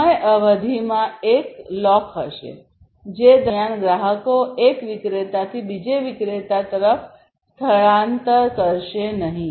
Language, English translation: Gujarati, So, basically there will be a lock in time period during, which the customers will not migrate from one vendor to another